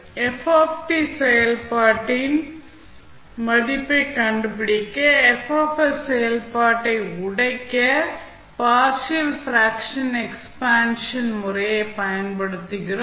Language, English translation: Tamil, Now, to solve the, to find out the, the value of function F, we use partial fraction expansion method to break the function F s